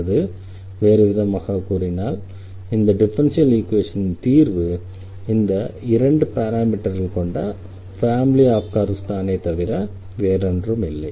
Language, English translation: Tamil, Or in other words the solution of this differential equation is nothing, but this given family of two parameter family of curves